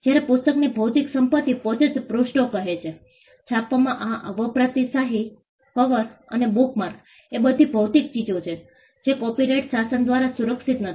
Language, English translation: Gujarati, Whereas, the physical property in the book itself says the pages, the ink used in printing, the cover and the bookmark are all physical goods which are not protected by the copyright regime